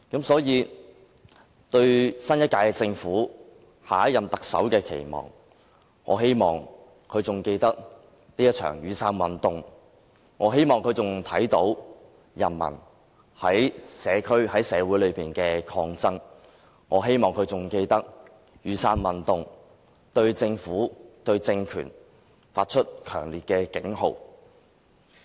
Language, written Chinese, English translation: Cantonese, 所以，對於新一屆政府、下一任行政長官的期望，我希望他仍然記得雨傘運動，我希望他仍然能夠看到人民在社會上的抗爭，我希望他仍然記得雨傘運動對政府及政權發出的強烈警號。, Therefore when it comes to expectations for the new administration or the next Chief Executive I only hope that he or she can still remember the Umbrella Movement can still recall the struggle put up by the people in society . I hope he or she can still remember the strong warning given by the Umbrella Movement to the Government and the ruling regime